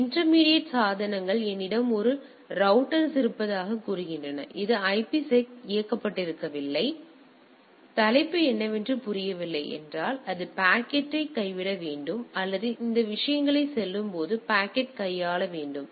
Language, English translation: Tamil, Now the intermediate devices say I have a router which is not IPSec enabled right; so, either it has to drop the packet if it does not understand what is the header or it need to handle the packet as the as it is going through the things